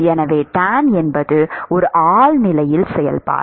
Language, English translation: Tamil, So, tan is a transcendental function